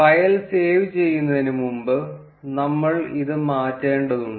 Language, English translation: Malayalam, Before saving the file, there is we need to change this